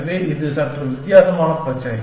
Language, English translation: Tamil, So, that is the slightly different problem